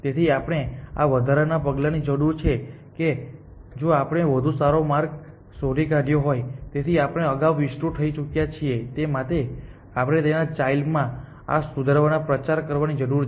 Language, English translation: Gujarati, So, we need this extra step that if we have found better path, so node that we have already expanded earlier we need to propagate this improvement to their children essentially